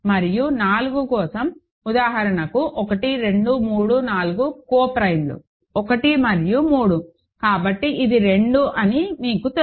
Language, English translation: Telugu, And for 4, for example you know that it is 2 because out of 1, 2, 3, 4 the co prime ones are 1 and 3